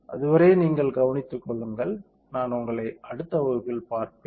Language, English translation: Tamil, Till then you take care, I will see you in the next class